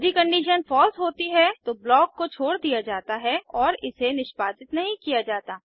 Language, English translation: Hindi, If the condition is false, the block is skipped and it is not executed